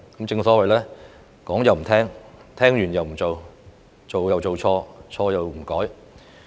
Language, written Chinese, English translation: Cantonese, 正所謂說又不聽、聽又不做、做又做錯、錯又不改。, They simply ignore our advice listen to our advice without taking action make mistakes in their action and fail to correct their mistakes